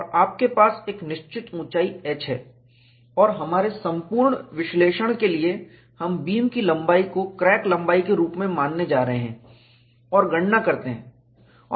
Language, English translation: Hindi, And you have a particular height h, and for our analysis, we are going to consider the length of the beam as a, which is the crack length, and do the computation